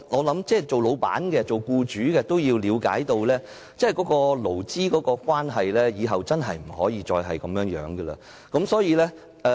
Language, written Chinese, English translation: Cantonese, 同時僱主亦需要了解到，日後勞資關係真的不能再是這樣的狀況。, Meanwhile employers also need to understand that labour relations really cannot remain in the same state in future